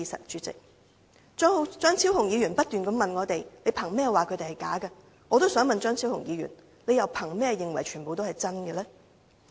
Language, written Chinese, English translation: Cantonese, 張超雄議員不斷問我們憑甚麼指他們是"假難民"，我亦想詢問張超雄議員，他又憑甚麼認為全部人也是真難民呢？, Dr Fernando CHEUNG keeps questioning us about our basis of describing those claimants as bogus refugees . In return I also want to question Dr Fernando CHEUNG about his basis of regarding all those claimants as genuine refugees